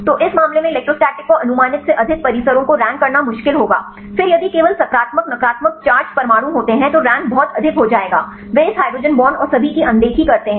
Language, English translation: Hindi, So, in this case it will be difficult to rank the complexes the electrostatic over estimated, then if there is the only positive negative charged atoms then there will rank very high they ignoring this hydrogen bonds and all